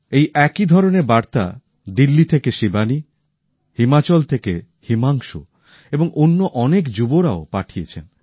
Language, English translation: Bengali, Similar messages have been sent by Shivani from Delhi, Himanshu from Himachal and many other youths